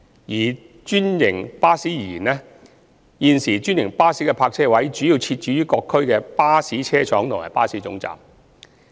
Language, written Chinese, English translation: Cantonese, 以專營巴士而言，現時專營巴士的泊位主要設置於各區的巴士車廠及巴士總站。, For franchised buses at present their parking spaces are mainly provided at bus depots and bus terminals in various districts